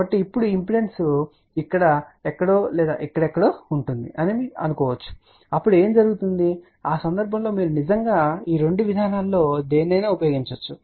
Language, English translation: Telugu, So, now, suppose what happens in the impedance is somewhere here or somewhere here ok, in that case you can actually use either of these two approaches ok